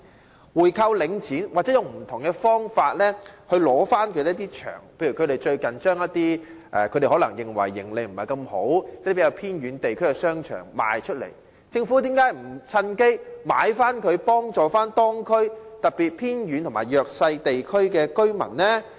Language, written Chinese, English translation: Cantonese, 政府可以購回領展，或以不同方法取回一些場地，例如領展近日把一些它認為營利不佳的偏遠地區的商場出售，為何政府不趁機回購，以協助當區，特別是偏遠和弱勢地區的居民呢？, The Government can buy back Link REIT or recover some establishments in different ways . For example Link REIT has recently put up for sale some shopping arcades in remote areas which it considers unprofitable . Why does the Government not seize the opportunity to buy them back to help the local residents especially those in remote and disadvantaged areas?